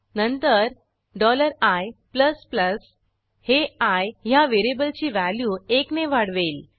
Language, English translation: Marathi, Then the $i++ will increments the value of variable i by one